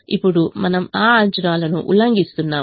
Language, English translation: Telugu, now we are violating that assumption